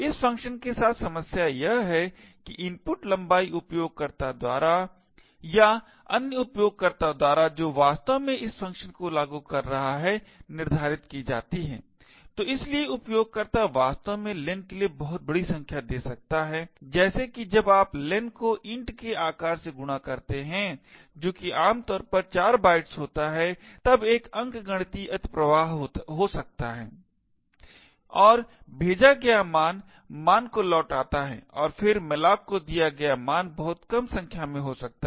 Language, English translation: Hindi, The problem with this function is that the input length is set by the user or rather by the user who is actually invoking this function, so therefore the user could actually give a very large number for len such that when you multiply len by size of int which is typically 4 bytes then there could be an arithmetic overflow and the value returned the value passed and then the value passed to malloc could be a very small number